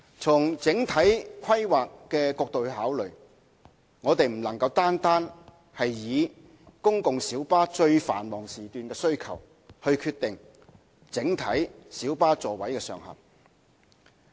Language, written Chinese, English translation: Cantonese, 從整體規劃角度考慮，我們不能單單以公共小巴在最繁忙時段的需求來決定整體小巴座位上限。, From the perspective of overall planning we cannot decide on the overall maximum seating capacity of light buses simply based on the demand and supply of PLBs during the peakiest one hour